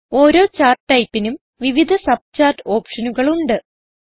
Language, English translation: Malayalam, Each type of Chart has various subchart options